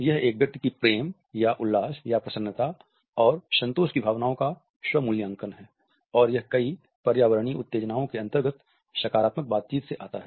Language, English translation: Hindi, It is an individual’s, self reported evaluation of feelings of love or joy or pleasure and contentment and it comes from several positive interactions within environmental stimuli